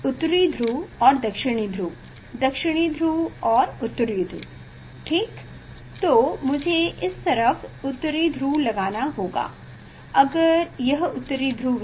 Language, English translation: Hindi, North Pole and South Pole, South Pole and North Pole ok; so, I have to put this way North Pole, if this one North Pole